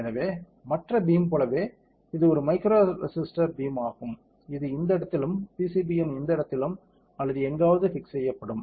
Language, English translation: Tamil, So, this is a micro resister beam just like any other beam, which will be fixed in this place and this place on some pcb or somewhere